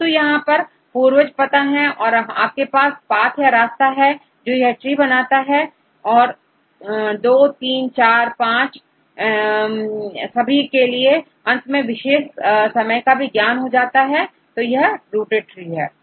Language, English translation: Hindi, But we have an ancestor and you have the path to lead to this tree, all this I II III IV V; finally, comes to this point through a specific period of time; that’s called a rooted tree